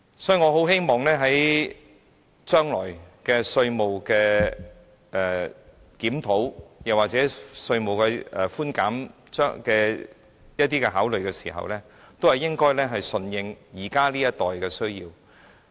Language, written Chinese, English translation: Cantonese, 所以，我很希望將來對稅務作出檢討或在考慮稅務寬減時，應該順應現時這一代的需要。, Hence I really hope that the Administration would cope with the need of the current generation when reviewing the taxation arrangements or considering tax concessions in the future